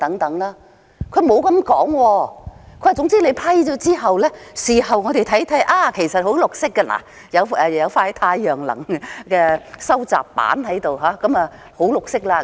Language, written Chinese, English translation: Cantonese, 政府沒有這樣說，只說批准之後，事後可以說你們看看，這裏安裝了一塊太陽能收集板，已經十分"綠色"了。, But after an approval is granted the Government can then say Look a solar panel is retrofitted here and that makes it very green